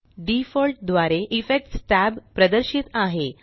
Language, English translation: Marathi, By default the Effects tab is displayed